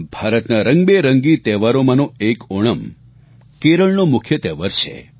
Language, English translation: Gujarati, Of the numerous colourful festivals of India, Onam is a prime festival of Kerela